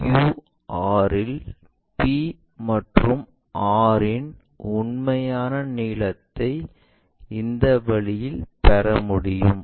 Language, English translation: Tamil, So, p q r are the things and what about the p to r that true length we will get it in this way